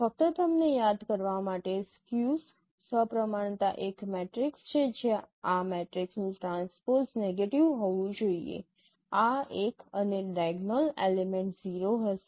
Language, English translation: Gujarati, Just to remind you is a skew symmetric is a matrix where the transpose of this matrix should be the negative of this one and the diagonal element would be zero